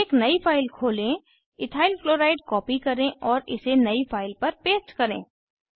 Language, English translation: Hindi, Open a new file, copy Ethyl Chloride and paste it into new file